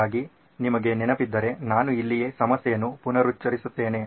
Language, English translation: Kannada, So if you remember I will reiterate the problem right here